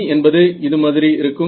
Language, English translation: Tamil, So, what is E i over here